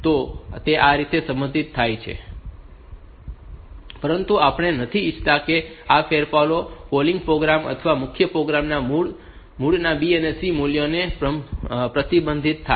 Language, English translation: Gujarati, So, that way it gets modified, but we do not want that these modifications will get reflected into the B and C values of the origin of the of the calling program or the or the main program